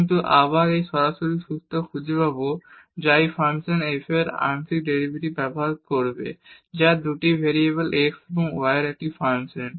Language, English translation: Bengali, But, we will find a direct formula which will use the partial derivatives of this function f which is a function of 2 variables x and y